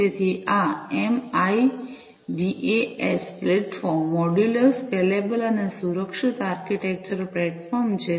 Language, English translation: Gujarati, So, this MIDAS platform is a modular, scalable, and secure architectural platform